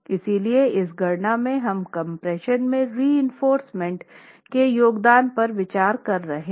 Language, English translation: Hindi, So, in this calculation we are considering the contribution of the compression reinforcement